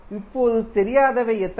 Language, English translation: Tamil, Now, unknowns are how many